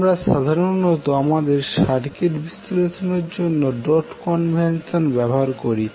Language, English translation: Bengali, We generally use the dot convention for our circuit analysis